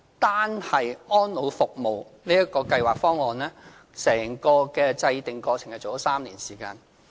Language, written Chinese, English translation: Cantonese, 單是《安老服務計劃方案》，整個制訂過程已花了3年時間。, The entire process of formulating the Elderly Services Programme Plan alone for instance has taken three years